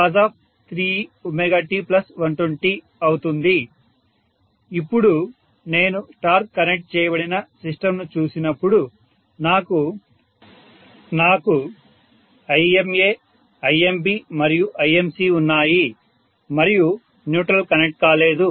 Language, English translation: Telugu, Now, when I look at the star connected system, I have Ima Imb and Imc and the neutral is not connected, right